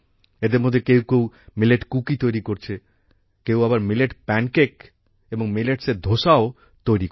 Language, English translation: Bengali, Some of these are making Millet Cookies, while some are also making Millet Pancakes and Dosa